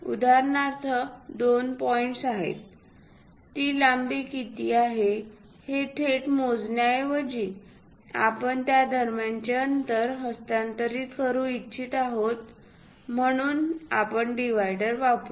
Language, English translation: Marathi, For example, there are two points; instead of directly measuring what is that length, we would like to transfer the distance between that, so we use divider